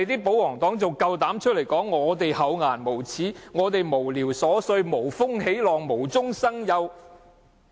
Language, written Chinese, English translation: Cantonese, 保皇黨還敢說我們厚顏無耻、無聊瑣碎、無風起浪、無中生有。, Yet the royalists are bold enough to say that we are shameless frivolous looking up trouble and making a fuss out of nothing